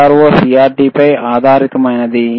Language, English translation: Telugu, CRO is based on CRT